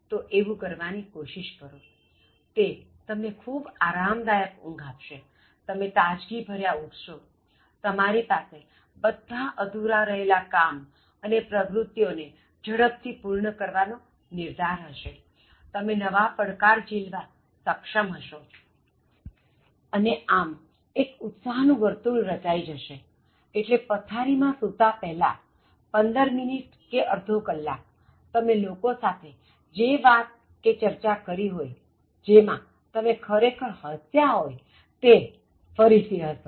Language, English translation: Gujarati, So, try to do that, so it will give you a very relaxed kind of sleep, you will get up in a very refreshed mood and then you will be having all the strength and then determination to complete the pending activities very quickly and take up new challenges and then again like make it a positive cycle, so again before going to bed 15 minutes, half an hour, just listen or watch or be in part of discussion with people, where you can actually laugh, give that whole hearted laugh